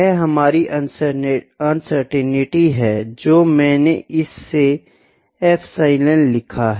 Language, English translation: Hindi, This is our uncertainty I put epsilon